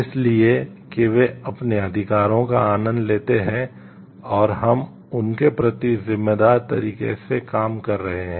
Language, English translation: Hindi, So, that they enjoy their rights, and we are acting in a responsible way towards them